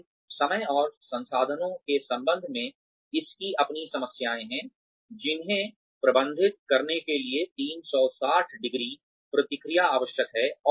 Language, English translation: Hindi, But then, it has its own problems, regarding the time and the resources, that are required to manage, 360ø feedback